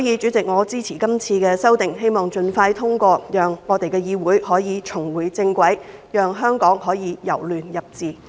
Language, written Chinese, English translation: Cantonese, 主席，我支持今次的修訂，希望這些修訂盡快獲得通過，讓議會可以重回正軌，讓香港可以由亂入治。, President I support this amendment exercise and I hope for the expeditious passage of the amendments so as to enable the legislature to get back on track and bring Hong Kong out of chaos into stability